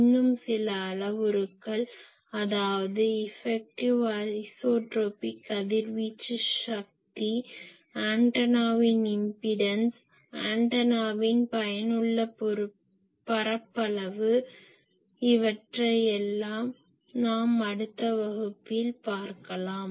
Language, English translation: Tamil, So, that will see like there is an effective isotropic radiated power , then the impedance of the antenna , these are all other quantities in effective area of antenna , those will see in the next class ok